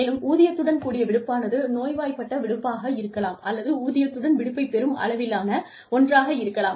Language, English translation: Tamil, And, paid time off, could be sick leave, or could be, you know, that is one way of getting paid